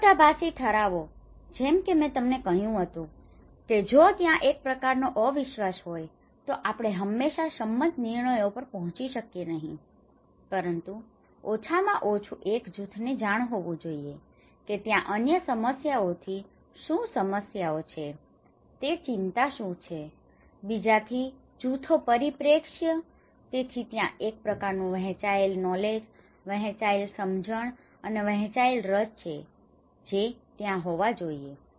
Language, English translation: Gujarati, Conflict resolutions, as I said that if there is a kind of distrust may not be we always be able to reach to an agreed decisions but at least one group should know that what are the concerns what are the problems there from another perspective, from another groups perspective, so there is kind of shared knowledge, shared understanding, and shared interest that should be there